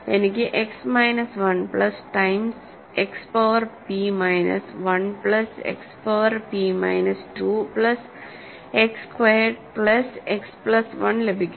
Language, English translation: Malayalam, So, I get X minus 1 plus times X power p minus 1 plus X power p minus 2 plus X squared plus X plus 1